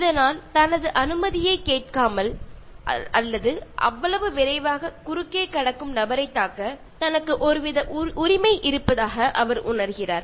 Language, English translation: Tamil, And he even feels that he has a kind of right to hit the person who crosses without taking his permission or darting across so quickly